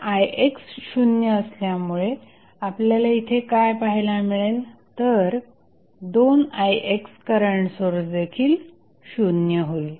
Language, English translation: Marathi, Now, what we are seeing here, since Ix is equal to 0, that means, this current source that is 2Ix will also be equal to 0